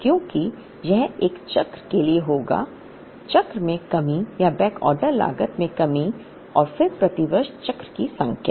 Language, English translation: Hindi, Because this would be for a cycle, expected shortage in a cycle into the shortage or backorder cost and then the number of cycles per year